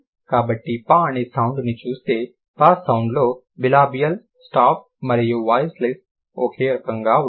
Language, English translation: Telugu, So, if I look at the sound per, sound per will have bilabial, stop and voiceless